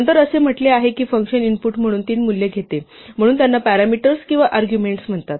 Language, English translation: Marathi, Then it says that this function takes three values as inputs, so these are called parameters or arguments